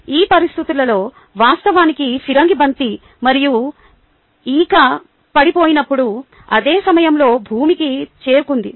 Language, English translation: Telugu, under those conditions, actually, the cannon ball and the feather, when dropped, reached the ground at the same time